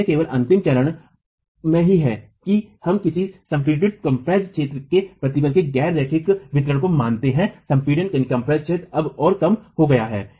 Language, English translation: Hindi, So, it is only in the last stage that we assume a nonlinear distribution of the stress in the compressed zone